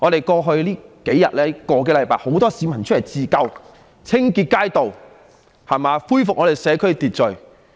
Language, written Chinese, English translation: Cantonese, 過去的數天、個多星期，很多市民出來自救，清潔街道，恢復社區秩序。, Over the past few days or even more than a weeks time many people came out to help save the city by cleaning up the streets with a view to restoring order in local communities